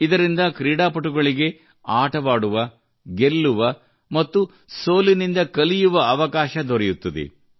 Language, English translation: Kannada, They give players a chance to play, win and to learn from defeat